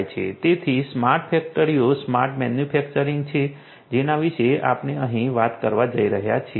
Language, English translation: Gujarati, So, smart factories smart manufacturing is what we are going to talk about over here